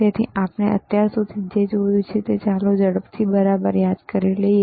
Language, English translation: Gujarati, So, what we have seen until now, let us quickly recall right